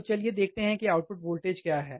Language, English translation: Hindi, What is the input voltage